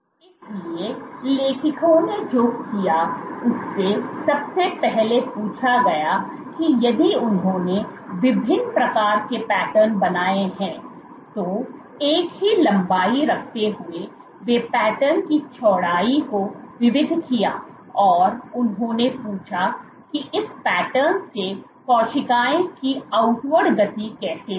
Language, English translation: Hindi, So, what the authors did was the first asked that if they made these patterns of various widths, they varied the width of the pattern keeping the same length and they asked that how was the outward movement of cells from this patterns how would how did the vary depending on the width of these patterns